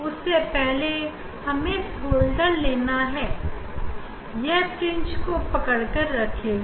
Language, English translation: Hindi, before that we have to actually you take holders ok, it will hold the fringe